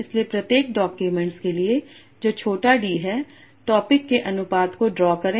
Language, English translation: Hindi, So for each document that is small D, draw topic proportions